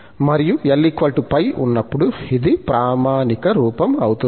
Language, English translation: Telugu, And, when L is pi, this will reduce to the standard form